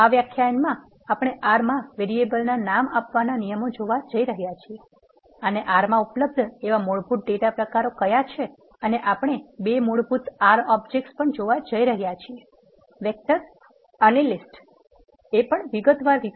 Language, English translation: Gujarati, In this lecture we are going to see the rules for naming the variables in R and what are the basic data types that are available in R and we are also going to see two basic R objects; vectors and lists, in detail